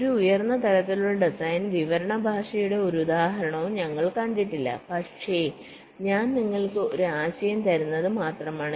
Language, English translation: Malayalam, well, we have not seen any example of a high level design description language, but i am just giving you the [vocalized noise] ah, giving you the idea